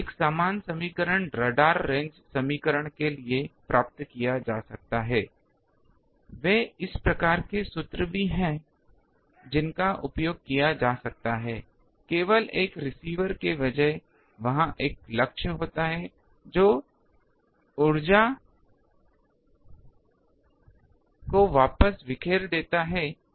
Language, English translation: Hindi, A similar equation can be derived for radar range equation they are also this type of formulas can be used, that only thing they are is instead of a receiver there is a target which takes the energy and scatters back